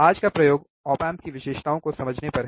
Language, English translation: Hindi, Today’s experiment is on understanding the characteristics of op amp